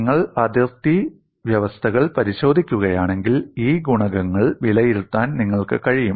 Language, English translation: Malayalam, And if you look at the boundary conditions, it is possible for you to evaluate these coefficients